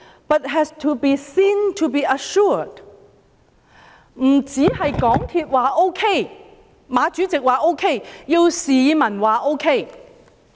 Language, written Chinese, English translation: Cantonese, 不止港鐵公司或馬主席說 OK， 也要市民說 OK。, Not only MTRCL or Chairman MA must say okay the people must say okay too